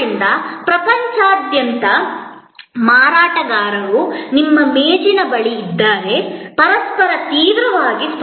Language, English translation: Kannada, So, the marketers from across the world are at your desk, competing fiercely with each other